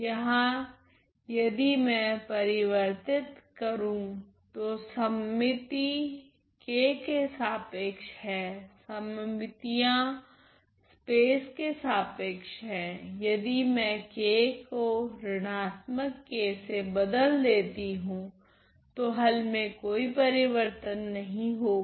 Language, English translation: Hindi, The symmetry is with respect to k here if I replace well the symmetries with respect to the space if I replace k 1 by minus k the solution does not change